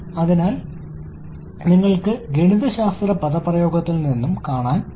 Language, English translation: Malayalam, So, you can see from the mathematical expression also